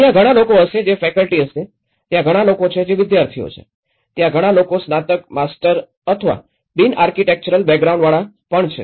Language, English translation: Gujarati, Whether there will be many people who are faculty, there are many people who are students, there are many people from bachelors, masters or from non architectural backgrounds as well